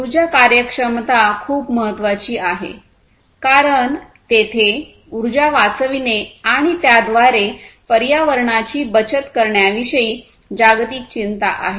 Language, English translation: Marathi, So, nowadays, energy efficiency is very important also because there is globally a global concern about saving energy and thereby saving the environment